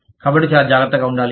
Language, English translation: Telugu, So, one has to be very careful